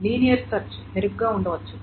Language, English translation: Telugu, The linear search may be better